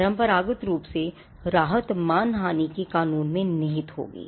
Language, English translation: Hindi, Traditionally, the relief would lie in the law of defamation